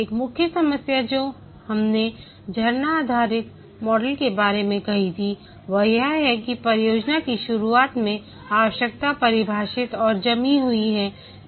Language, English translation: Hindi, One of the main problem that we had said about the waterfall based model is that the requirement is defined and frozen at the start of the project